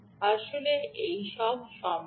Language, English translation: Bengali, all this is actually possible